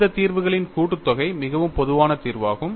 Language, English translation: Tamil, And the most general solution is the sum of all these solutions